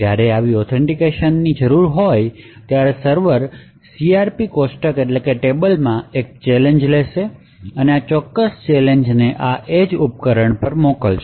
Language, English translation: Gujarati, When such authentication is required, the server would pick up a challenge from the CRP table and send this particular challenge to this edge device